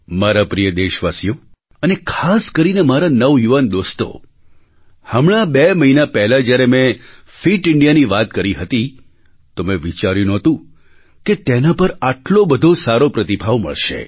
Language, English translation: Gujarati, My dear countrymen, especially my young friends, just a couple of months ago, when I mentioned 'Fit India', I did not think it would draw such a good response; that a large number of people would come forward to support it